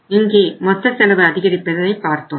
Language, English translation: Tamil, We have seen here total cost is going up